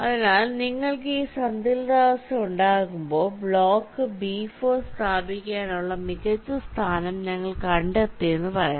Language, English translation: Malayalam, so when you have this equilibrium, we say that we have found out the best position to place block b four